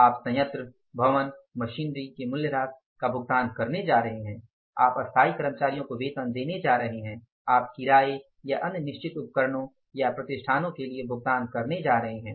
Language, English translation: Hindi, You are going to pay the plant building and machinery depreciation, you are going to pay the salaries of the permanent employees, you are going to pay for the other rent of the building and other fixed equipments or installations